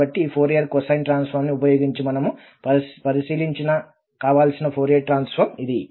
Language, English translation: Telugu, So, this is the desired Fourier transform we have evaluated using or with the help of this Fourier cosine transform